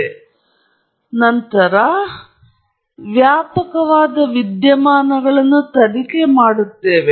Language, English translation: Kannada, And then, based on that we investigate wide range of phenomena